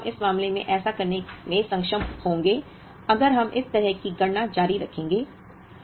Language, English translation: Hindi, Actually, we will be able to do that in this case, if we continue this kind of calculation